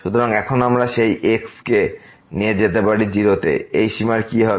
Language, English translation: Bengali, So, now, we can take that goes to , what will happen to this limit